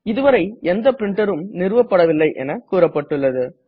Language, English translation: Tamil, It says There are no printers configured yet